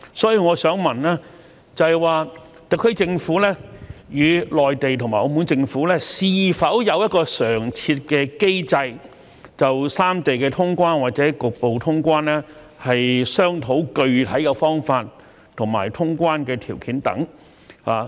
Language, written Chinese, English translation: Cantonese, 所以，我想問，特區政府與內地和澳門政府是否有常設的機制，就三地的通關或局部通關商討具體的方法和通關的條件等？, Therefore I wish to ask is there a standing mechanism for the SAR Government to hold discussions with the Mainland and Macao governments on specific methods and conditions for full or partial traveller clearance among the three places?